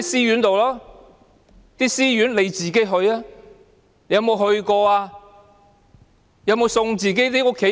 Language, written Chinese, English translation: Cantonese, 政府官員自己有沒有去過這些私營安老院？, Have the government officials ever visited these private homes for the aged themselves?